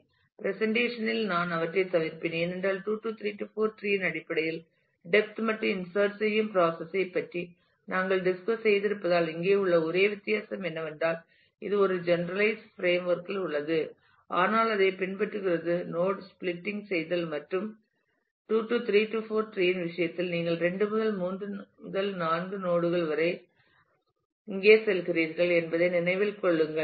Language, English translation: Tamil, I will skip them in the in the presentation, now because as we have discussed the process of insertion in depth in terms of the 2 3 4 tree the only difference here is that this is in a generalized framework, but follows exactly the same idea of node splitting and keeping in mind that in case of 2 3 4 tree you move from 2 to 3 and 3 to 4 node here